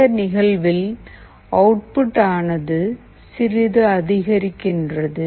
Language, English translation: Tamil, In this case, the output is just getting incremented